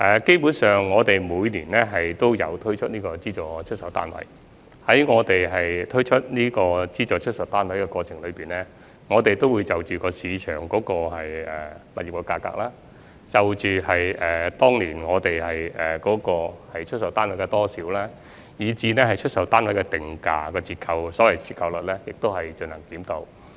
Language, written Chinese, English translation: Cantonese, 基本上，我們每年都有推出資助出售單位，我們推出資助出售單位的過程中，會盡量就着市場的物業價格、當年出售單位的數量，以至出售單位的定價折扣作出檢討。, Basically we offer SSFs for sale every year and in the process we strive to review as far as possible the market property prices the number of flats offered for sale in that year and the discount rate of the SSFs